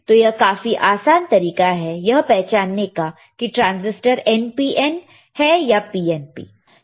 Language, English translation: Hindi, So; that means, that this transistor is not an NPN, is it PNP